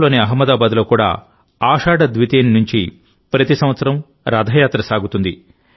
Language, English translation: Telugu, In Ahmedabad, Gujrat too, every year Rath Yatra begins from Ashadh Dwitiya